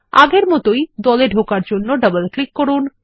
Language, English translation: Bengali, As before, double click on it to enter the group